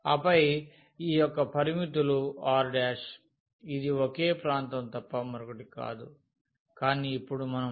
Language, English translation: Telugu, And then these limits of this R prime, it is nothing but the same region, but now we have to compute over u and v